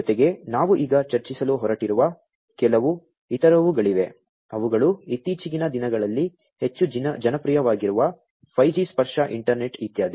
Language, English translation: Kannada, Plus there are few others that we are going to discuss now, which are like 5G tactile internet etcetera which have become very popular, in the recent times